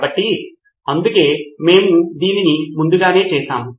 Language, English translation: Telugu, So, that is why we have done it prior to this